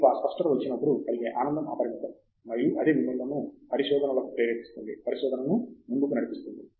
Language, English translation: Telugu, Then, when you get that clarity, the joy is unbounded and that is what I think makes research, drives research